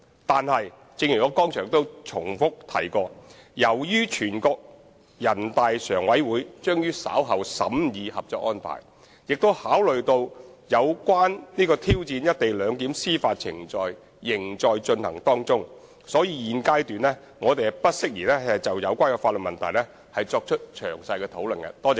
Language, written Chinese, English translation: Cantonese, 但是，正如我剛才重覆指出，由於全國人大常委會將於稍後審議《合作安排》，並考慮到有關挑戰"一地兩檢"的司法程序仍在進行，因此現階段我們不宜就有關的法律問題作出詳細討論。, However as I have repeatedly pointed out just now since NPCSC will shortly scrutinize the Co - operation Arrangement and the judicial proceedings of challenging the co - location arrangement are underway it would be inappropriate for us to comment on the relevant legal issues in detail at this stage